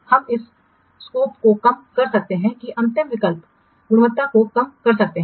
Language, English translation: Hindi, You can reduce the scope and the last alternative which reduce the quality